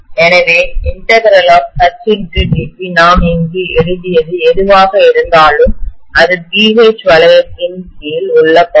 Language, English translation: Tamil, So this integral H DB whatever we have written here, that is the area under BH loop